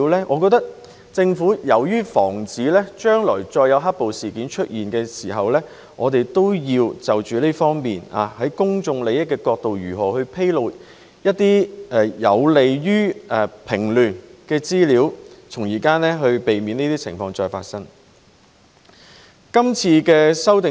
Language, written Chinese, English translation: Cantonese, 我覺得，為了防止將來再有"黑暴"事件出現，政府要從公眾利益的角度，審視如何披露一些有利於平亂的資料，從而避免再發生這些情況。, In my opinion to prevent the recurrence of black - clad violence the Government must review from the perspective of public interests how to disclose information that is conducive to stopping riots so as to prevent these situations from happening again